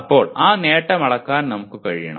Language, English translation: Malayalam, Then we should be able to measure that attainment